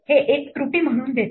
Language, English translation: Marathi, This gives as an error